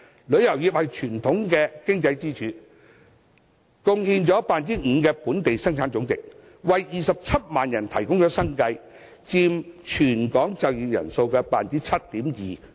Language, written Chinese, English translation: Cantonese, 旅遊業是傳統的經濟支柱，貢獻本地生產總值的 5%， 為27萬人提供生計，佔全港總就業人數 7.2%。, Tourism is a traditional economic pillar . It contributes to 5 % of the Gross Domestic Product and provides a living for 270 000 people accounting for 7.2 % of total working population of Hong Kong . But the tourism industry has suffered setbacks in recent years